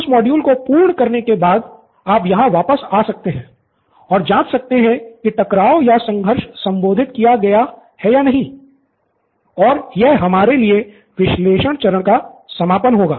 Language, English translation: Hindi, In that after you done with solve, you always come back and check here and check if the conflict is addressed or not and that ends the analyse stage for us